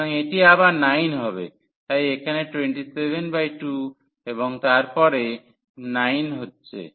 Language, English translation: Bengali, So, which is a 9 again so, here 27 by 2 and then minus 9